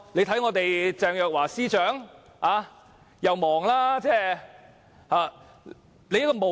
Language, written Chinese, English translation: Cantonese, 大家看鄭若驊司長，她十分忙碌。, A case in point is Secretary for Justice Teresa CHENG who is very busy